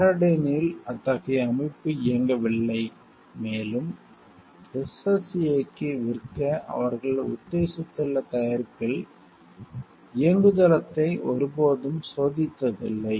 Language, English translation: Tamil, Paradyne did not have any such system running, and had never tested the operating system on the product they actually propose to sell to the SSA